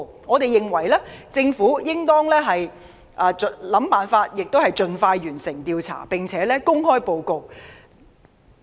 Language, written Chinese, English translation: Cantonese, 我們認為政府應當設法協助調查委員會盡快完成調查，並且公開報告。, We consider that the Government should find ways to facilitate the Commission in completing its inquiry and publishing the report expeditiously